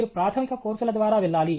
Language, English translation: Telugu, You have to go through the basic courses